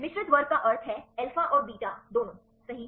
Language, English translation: Hindi, Mixed class means containing both alpha and beta right